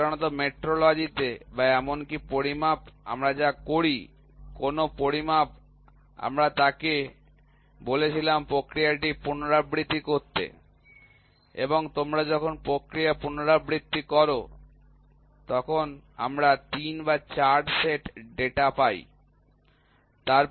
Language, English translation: Bengali, So, generally in metrology or in even measurements any measurements what we do is we asked him to repeat the process and when you repeat the process we get 3 or 4 set of data